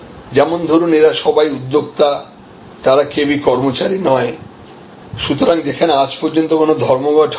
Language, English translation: Bengali, You know, these are entrepreneurs, they are not employees, therefore, there have there is no record of any strike